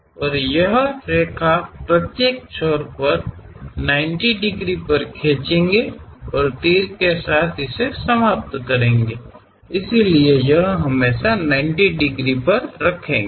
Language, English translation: Hindi, And the segments at each end drawn at 90 degrees and terminated with arrows; so, this always be having 90 degrees